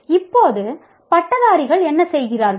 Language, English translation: Tamil, So what happens, what do the graduates do